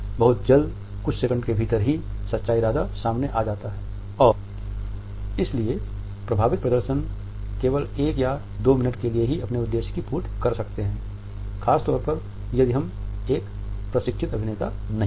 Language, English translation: Hindi, Very soon within a couple of seconds, the true intention comes out and therefore, affect displays can serve their purpose only for maybe a minute or two unless and until we are trained actors